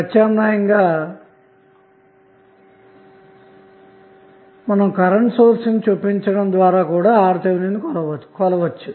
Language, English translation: Telugu, Alternatively the RTh can also be measured by inserting a current source